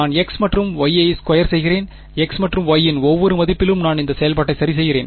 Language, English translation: Tamil, I am just squaring x and y and at each value of x and y I am plotting this function ok